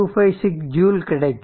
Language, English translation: Tamil, 256 joule right